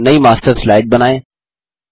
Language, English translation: Hindi, Create a new Master Slide